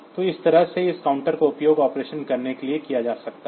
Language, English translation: Hindi, So, this way this counters can be utilized for doing the operation